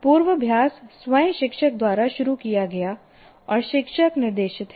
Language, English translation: Hindi, So, rehearsal itself is teacher initiated and teacher directed